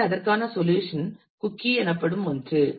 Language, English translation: Tamil, So, the solution for that is something which is known as a cookie